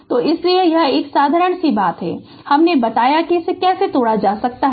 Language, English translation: Hindi, So, that is why; so this is a simple thing and I told you how to break it